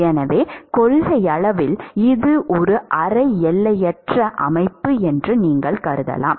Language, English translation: Tamil, So, you could in principle assume that it is a semi infinite systems